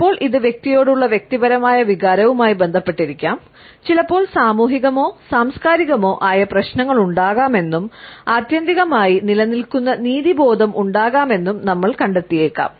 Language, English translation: Malayalam, Sometimes it may be related with a personals feeling of vendetta towards an individual, sometimes we find that there may be social or cultural issues and sometimes we may find that there may be a sense of justice prevailing ultimately